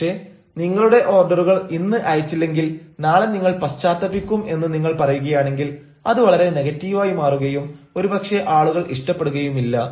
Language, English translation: Malayalam, but if you say, if you do not send your orders today, you will have to regret tomorrow, now this will become very negative and perhaps people wont like it